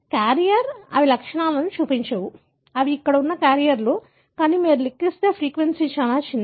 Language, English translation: Telugu, The carrier, they do not show symptoms, so they are carriers that are there, but the frequency if you calculate it is very very small